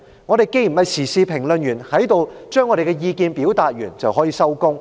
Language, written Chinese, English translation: Cantonese, 我們不是時事評論員，在這裏表達完意見便可以收工。, We are not current affairs commentators who can call it a day after expressing our opinions here